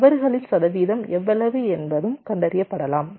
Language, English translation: Tamil, how may percentage of faults ah getting detected